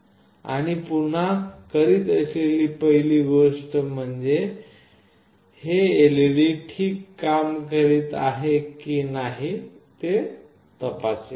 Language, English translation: Marathi, And the first thing again I will do is first I will check whether this LED is working fine or not